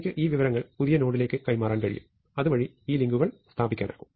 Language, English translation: Malayalam, So, I can transfer that information to the new node so, that these links can be established